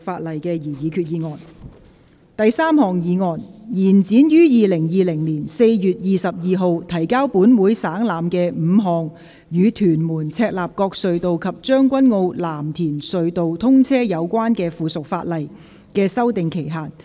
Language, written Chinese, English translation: Cantonese, 第三項議案：延展於2020年4月22日提交本會省覽的5項與屯門—赤鱲角隧道及將軍澳—藍田隧道通車有關的附屬法例的修訂期限。, Third motion To extend the period for amending the five items of subsidiary legislation in relation to the commissioning of the Tuen Mun - Chek Lap Kok Tunnel and the Tseung Kwan O - Lam Tin Tunnel which were laid on the table of this Council on 22 April 2020